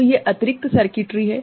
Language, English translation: Hindi, So, these are additional circuitry